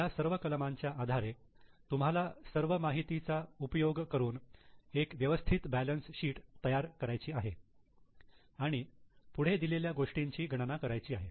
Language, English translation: Marathi, Based on these items you have to use all the information, prepare a proper balance sheet and calculate the following